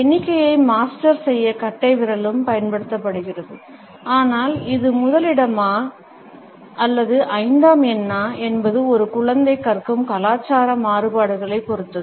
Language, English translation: Tamil, Thumbs are also used to master counting, but whether this is number one or number five depends on the cultural variations, where a child is learning to count